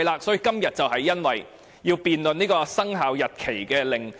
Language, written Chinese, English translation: Cantonese, 所以，今天我們要辯論生效日期公告。, Thus we have to debate the Commencement Notice today